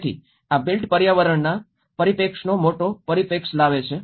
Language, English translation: Gujarati, So, this brings a larger perspective of the built environment perspective